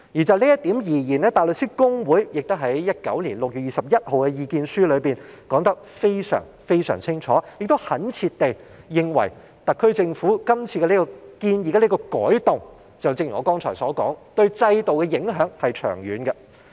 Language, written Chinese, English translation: Cantonese, 就這一點，大律師公會在2019年6月21日的意見書中說得非常清楚，懇切地指出特區政府今次建議的改動，就正如我剛才所說，對制度的影響是長遠的。, In this connection the Hong Kong Bar Association made it very clear in its written submission dated 21 June 2019 and sincerely pointed out that the changes proposed by the SAR Government this time will as I have said just now have far - reaching impacts on the system